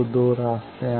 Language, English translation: Hindi, So, there are two paths